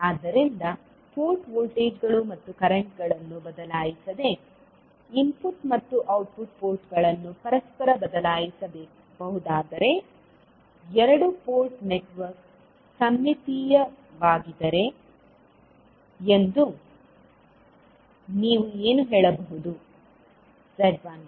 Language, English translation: Kannada, So, what you can say that the two port network is said to be symmetrical if the input and output ports can be interchanged without altering port voltages and currents